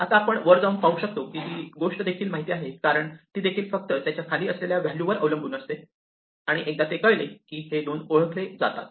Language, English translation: Marathi, Now we can go up and see that this thing is also known because, it also depends only on the value below it and once that is known then these 2 are known